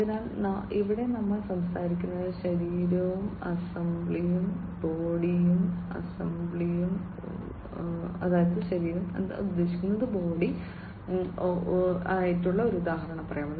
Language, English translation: Malayalam, So, here we are talking about, let us say just an example body and assembly, body and assembly